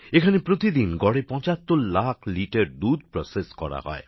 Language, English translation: Bengali, On an average, 75 lakh liters of milk is processed here everyday